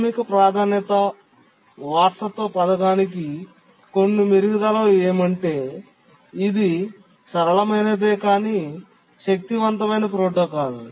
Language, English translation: Telugu, We have seen that the priority inheritance scheme is a simple but powerful protocol